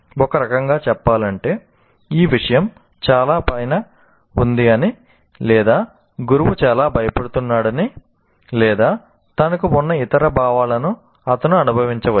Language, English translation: Telugu, In the sense, he may feel that this subject is too far above, or the teacher is very intimidating or whatever feelings that he have